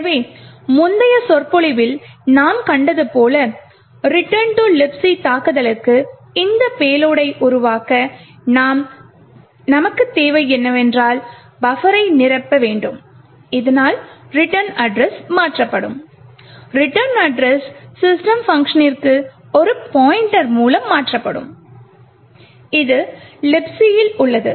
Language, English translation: Tamil, So, in order to create this payload for the return to libc attack as we have seen in the previous lecture, what we would require is to fill the buffer so that the return address is modified and the return address is modified with a pointer to the system function, which is present in the libc